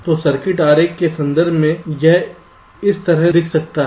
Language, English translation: Hindi, so in terms of a circuit diagram it can look like this